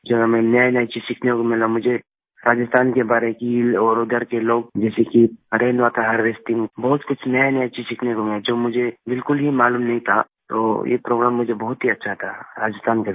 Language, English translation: Hindi, I got to learn many new things about the big lakes of Rajasthan and the people there, and rain water harvesting as well, which I did not know at all, so this Rajasthan visit was very good for me